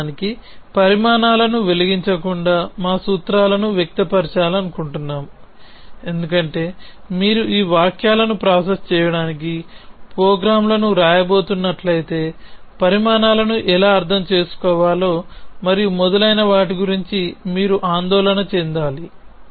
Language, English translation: Telugu, So, we want to express our formulas without actually lighting down the quantifies because remember that if you going to write programs to process these sentences, then you have to in worry about how to interpret the quantifies and so on